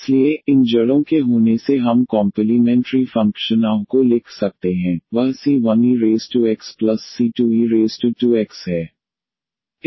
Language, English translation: Hindi, So, having these roots here we can write down the complementary function ah, that c 1 e power x and the plus c 2 e power 2 x